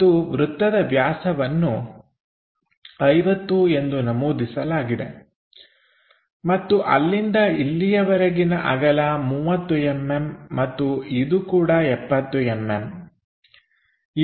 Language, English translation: Kannada, And the diameter of the circle clearly mentioned is 50 and there is a width of 30 mm here and this one also 70 mm